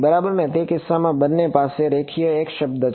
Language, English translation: Gujarati, Right both of them has a linear x term